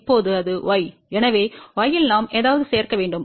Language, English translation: Tamil, So, from here we went to y, in y we added something